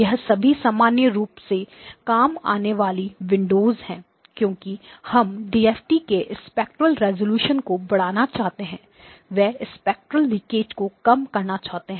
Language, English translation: Hindi, These are all the common used windows because they want to increase the spectral resolution of the DFT; they want to minimize the spectral leakage